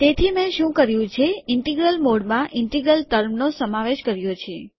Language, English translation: Gujarati, So what I have done is the integral mode includes the term this integral